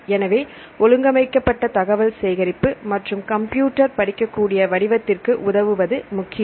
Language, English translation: Tamil, So, it is important to help the organized collection of this information and a computer readable form